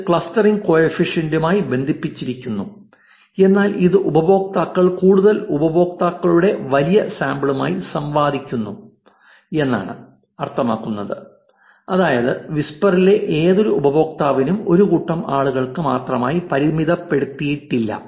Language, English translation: Malayalam, So, which is also connected to the clustering coefficient, but this says that users interact to the large sample of further users which means any user in whisper is not restricted only to a set of people